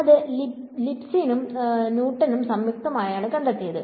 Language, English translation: Malayalam, So, that is jointly by Leibniz and Newton